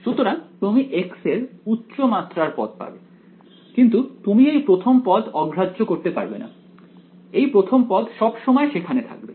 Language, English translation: Bengali, So, you will higher powers of x you will get, but the point is that you cannot ignore the first term; the first term will always be there right